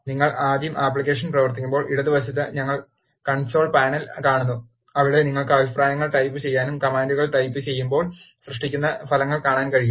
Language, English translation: Malayalam, When you first run the application, to the left, we see Console panel, where you can type in the comments and see the results that are generated when you type in the commands